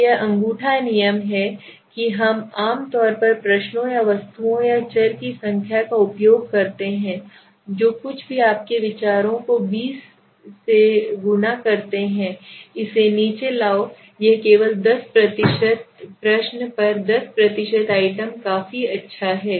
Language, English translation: Hindi, So this is the thumb rule that we generally use the number of questions or items or variables whatever your views so multiplied by 20 but all the time it is possible so sometimes we also bring it down it is only 10 per question at 10 per item is also good enough